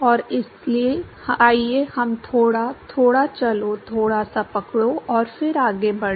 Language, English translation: Hindi, And so, let us little bit of; let us little bit; catch up a little bit, and then proceed further